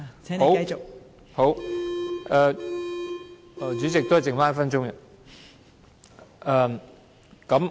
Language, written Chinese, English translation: Cantonese, 好，代理主席，只剩下1分鐘。, Okay Deputy Chairman . There is only one minute left